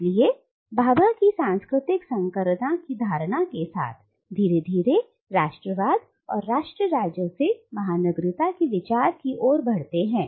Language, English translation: Hindi, So with Bhabha’s notion of cultural hybridity we gradually move from nationalism and nation states to the idea of cosmopolitanism